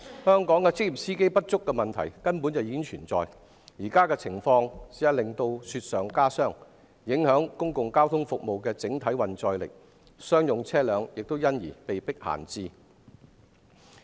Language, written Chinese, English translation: Cantonese, 香港職業司機不足的問題本已存在，現在的情況更是雪上加霜，公共交通服務的整體運載力受影響，商用車輛被迫閒置。, The current situation has aggravated the existing shortage of professional drivers in Hong Kong . The overall carrying capacity of public transport services is affected and commercial vehicles have to idle